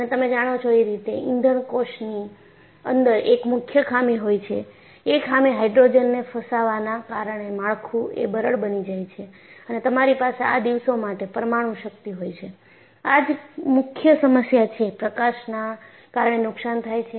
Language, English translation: Gujarati, And you know, in fuel cells, one of the major drawback is the structure becomes brittle because of hydrogen entrapment and you have nuclear power for these days and the major problem there is, damage due to irradiation